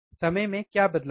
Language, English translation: Hindi, What is change in the time